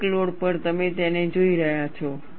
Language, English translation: Gujarati, At the peak load, you are looking at it